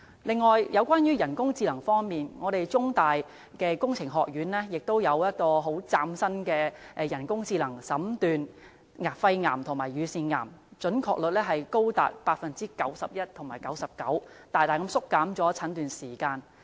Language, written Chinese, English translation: Cantonese, 此外，在人工智能方面，中文大學工程學院亦有一個嶄新的人工智能診斷肺癌和乳腺癌技術，準確率高達 91% 及 99%， 大大縮短了診斷時間。, On the artificial intelligence front the Faculty of Engineering of The Chinese University of Hong Kong has acquired a brand new artificial intelligence technology for diagnosing lung cancer and breast cancer with an accuracy rate of between 91 % and 99 % thereby greatly curtailing the time of diagnosis